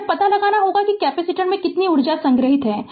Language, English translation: Hindi, We will have to find out that what your the energy stored in the capacitor